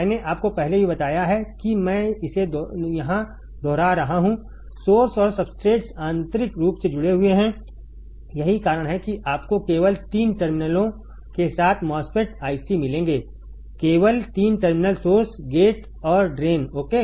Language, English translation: Hindi, I have told you earlier also I am repeating it here, source and substrates are connected internally that is why you will find MOSFET I cs with only 3 terminals, only 3 terminals source gate and drain ok